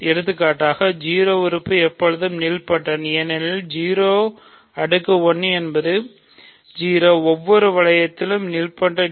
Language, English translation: Tamil, For example, 0 element is nilpotent always because 0 power 1 is 0, 0 is nilpotent in every ring, right